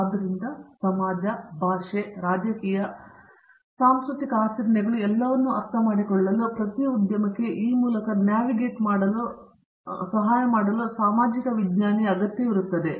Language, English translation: Kannada, So, to in order to understand the society languages, politics, cultural practices and everything, every industry requires a social scientist to help them navigate through these